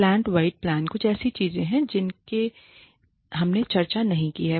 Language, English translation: Hindi, Plant wide plans are something we have not discussed